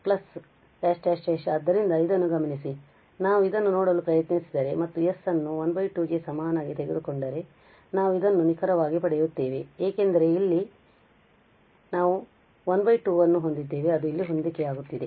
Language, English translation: Kannada, So, taking note on this if we try to look at this and take this n is equal to half, so we will precisely get this because here we have this half it is matching there